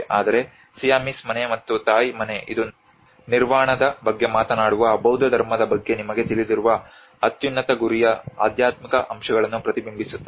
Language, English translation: Kannada, Whereas the Siamese house or the Thai house it reflects to the spiritual aspects of the highest goal you know of the Buddhism which is talking about the Nirvana